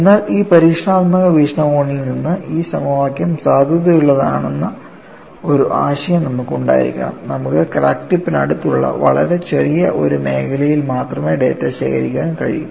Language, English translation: Malayalam, But, you will have to have a concept, that what way, this equation could be valid from an experimental point of view is, you are able to collect data, only a very small zone close to the crack tip